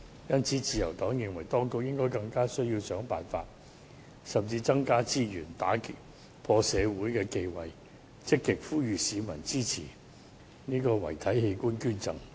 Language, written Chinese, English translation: Cantonese, 因此，自由黨認為，當局更應該想辦法或增加資源，打破社會的忌諱，積極呼籲市民支持遺體器官捐贈。, For that reason the Liberal Party considers that the Administration should try to increase the resources and break social taboos by actively urging the public to support cadaveric donation